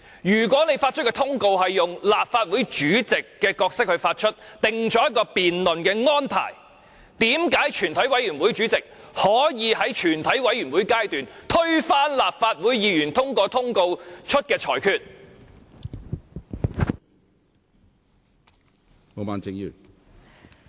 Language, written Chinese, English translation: Cantonese, "如果你以立法會主席的身份制訂辯論安排，並向議員發出通告，為何全體委員會主席在全體委員會審議階段可以推翻立法會主席通過通告發出的決定？, If you were acting in your capacity as the President of the Legislative Council when issuing a notice to Members why can the Chairman of the committee of the whole Council overturn at the Committee stage a decision of the Legislative Council President publicized through a notice?